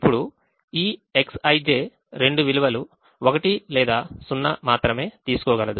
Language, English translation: Telugu, now this x i j can take only two values: one or zero